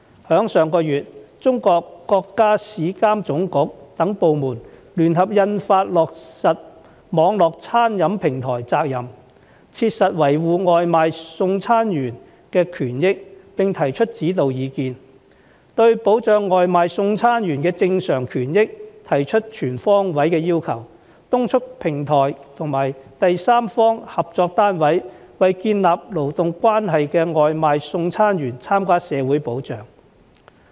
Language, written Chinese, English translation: Cantonese, 在上月，中國國家市場監督管理總局等部門聯合印發《關於落實網絡餐飲平台責任切實維護外賣送餐員權益的指導意見》，對保障外賣送餐員的正常權益提出全方位要求，督促平台及第三方合作單位為建立勞動關係的外賣送餐員參加社會保障。, In our country the State Administration for Market Regulation and other departments jointly issued last month the Guiding Opinions on Fulfilling the Responsibility of Online Catering Platforms to Effectively Safeguard the Rights and Interests of Takeaway Delivery Workers setting out a full range of requirements to protect the normal rights and interests of food - delivery workers and urges platform companies and third - party partners to take out social security for takeaway delivery workers with whom they have established a work relationship